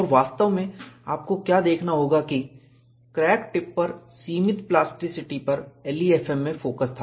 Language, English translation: Hindi, And, what you will have to really look at is, limited plasticity at the crack tip was the focus in LEFM